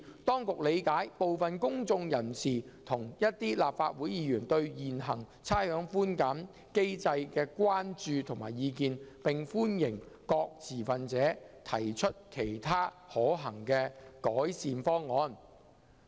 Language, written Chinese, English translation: Cantonese, 當局理解部分公眾人士及一些立法會議員對現行差餉寬減機制的關注及意見，並歡迎各持份者提出其他可行的改善方案。, The Administration understands the concerns and views of some members of the public and certain Legislative Council Members about the existing rates concession mechanism and welcomes any other feasible improvement proposals from various stakeholders